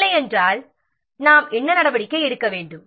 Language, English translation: Tamil, If not then what action we have to take